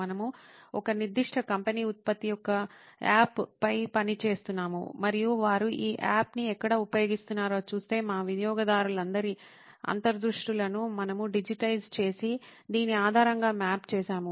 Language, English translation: Telugu, We were working on a particular company’s product of an app and seeing where they use this app all our customers insights we had digitized and mapped it based on this